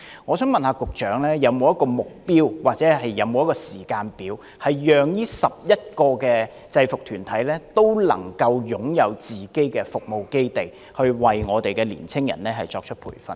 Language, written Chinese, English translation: Cantonese, 我想請問局長，當局有沒有設定目標或時間表，以期讓這11個制服團體都能夠擁有自己的服務基地，以便為年青人提供培訓？, May I ask the Secretary if the Administration has set a target or timetable for these 11 UGs to establish their own service bases so that they can provide training for young people?